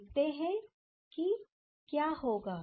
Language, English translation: Hindi, Let us see what will happen